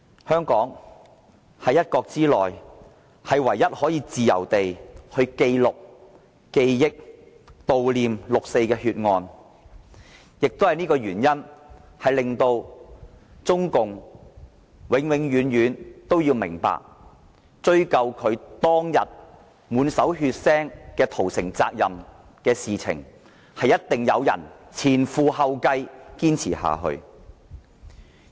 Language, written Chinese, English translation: Cantonese, 香港是一國之內唯一可以自由地記錄、記憶、悼念六四血案的地方，也基於這原因，令中共永遠都要明白，追究其當天滿手血腥屠城責任一事，定會有人前仆後繼堅持下去。, Hong Kong is the only place in the one country that can freely record commemorate and mourn for the 4 June massacre . On account of this reason we must make CPC understand that there will always be people ascertaining responsibility for the massacre and in the course when one falls another one will take up his place